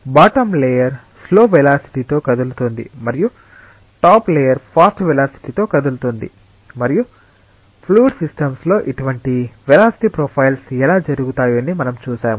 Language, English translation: Telugu, The bottom layer is moving at a slower velocity and the top layer is moving at a faster velocity and we have seen that how such velocity profiles occur in a system of fluid